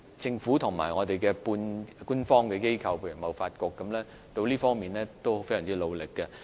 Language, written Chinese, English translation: Cantonese, 政府和半官方的機構，例如貿發局，在這方面都非常努力。, The Government and quasi - government organizations such as TDC have made a lot of efforts in this regard